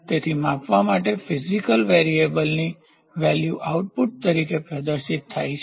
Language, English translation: Gujarati, So, that the value of the physical variable to be measured is displayed as output